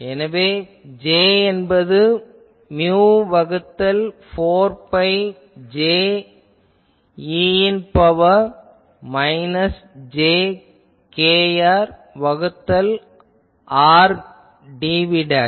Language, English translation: Tamil, So, we saw that Az gives mu by 4 pi Jz e to the power minus jkr by r dv dashed ok